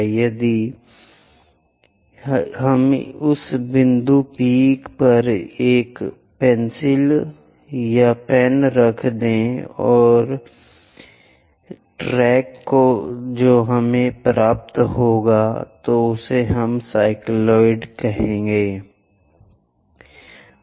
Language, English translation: Hindi, So, if we are tracking or keeping a pencil or pen on that point P whatever the track we are going to get that is what we call cycloid